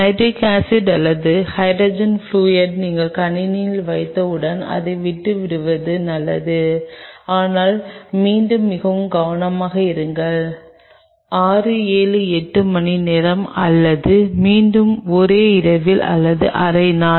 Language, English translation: Tamil, Once you put the nitric acid or hydrogen fluoride into the system you leave it if you can swirl it is a good idea, but be again be very careful you leave it there for 6 7 8 hours or maybe again overnight or half a day